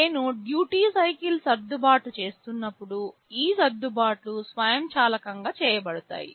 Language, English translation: Telugu, These adjustments are done automatically as I adjust the duty cycle